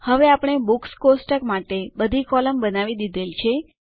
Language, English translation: Gujarati, Now we have created all the columns for the Books table